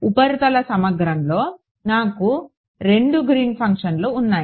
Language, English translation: Telugu, In the surface integral, I have two Green’s function